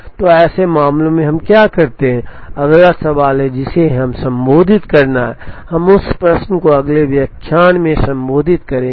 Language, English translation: Hindi, So, in such cases, what do we do is the next question that we have to address, we will address that question in the next lecture